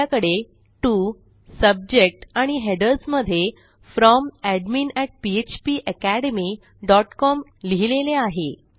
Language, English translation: Marathi, Weve got my to, my subject, my headers saying From:admin@phpacademy.com